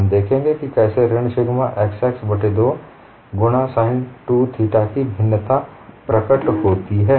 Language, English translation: Hindi, We will look at how the variation of minus sigma xx by 2 into sin 2 theta appears may be